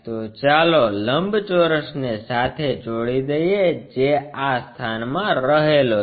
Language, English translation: Gujarati, So, let us join the rectangle which is resting in this location